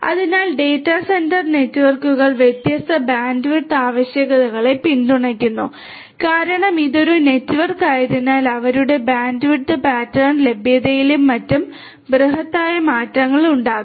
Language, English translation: Malayalam, So, data centre networks support different bandwidth requirements are there, there could be because it is a network you know there could be dynamic changes in the bandwidth pattern availability of their bandwidth and so on